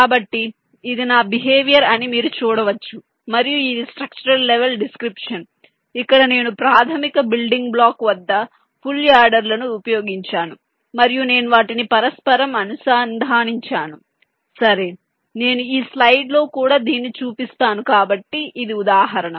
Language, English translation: Telugu, so you can see this was might behavior and this is ah structural level description where i used full adders at the basic building block and i have inter connected them right, which has example, as shall show this on this slide or so